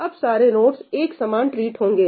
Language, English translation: Hindi, Now, all nodes are treated equal